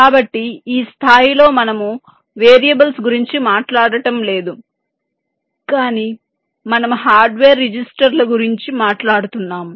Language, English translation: Telugu, we we are not talking about the variables, but you are talking about the hardware registers